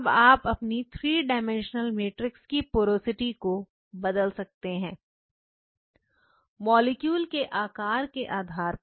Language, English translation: Hindi, So, now, you can vary the porosity of the 3 dimensional matrix and by varying the porosity of the 3 dimensional matrix depending on the